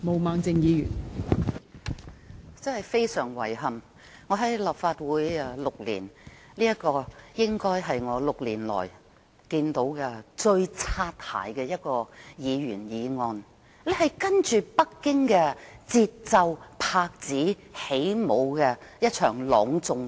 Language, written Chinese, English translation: Cantonese, 真的十分遺憾，在我擔任立法會議員這6年以來，這大概是最"擦鞋"的一項議員議案，是隨着北京的節奏上演的一場朗誦劇。, Regrettably this is probably the most bootlicking Members motion I have ever come across in my six years as Legislative Council Member . It is a recital toeing the line of Beijing